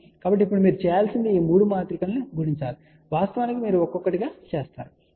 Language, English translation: Telugu, So, now, all you have to do it is multiply these 3 matrices of course, you do one by one